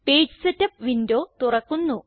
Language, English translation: Malayalam, The Page Setup window opens